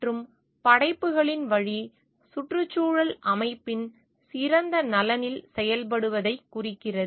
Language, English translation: Tamil, And the way of works denotes acting in the best interest of the ecosystem